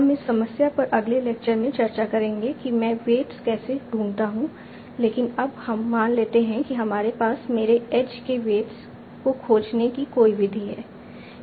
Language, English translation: Hindi, We will discuss this problem in the next lecture how do I find the weights but for now let us assume that we have some method of finding the weights of my age age